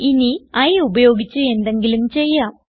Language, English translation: Malayalam, Now let us do something with i